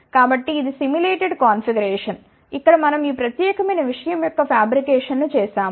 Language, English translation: Telugu, So, this is the simulated configuration, here we have done the fabrication of this particular thing